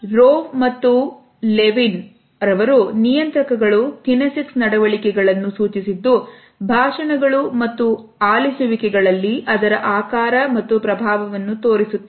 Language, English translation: Kannada, Rowe and Levine have suggested that regulators are kinesic behaviors that shape or influence turn taking in his speech and listening